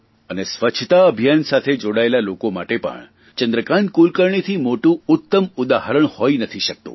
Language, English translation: Gujarati, And for the people who are associated with the Cleanliness Campaign also, there could be no better inspiring example than Chandrakant Kulkarni